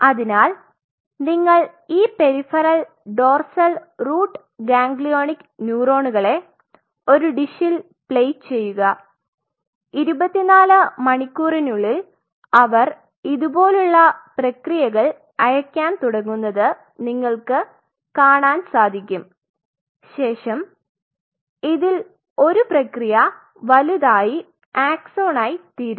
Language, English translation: Malayalam, So, you played these, peripheral dorsal root ganglionic neurons in a dish, you will see within 24 hours or so they will start sending out the processes like this and then one of the processes will become larger and will form an axon you allow that part to happen